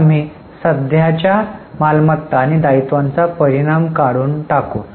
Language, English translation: Marathi, So, we will remove the effect of current assets and liabilities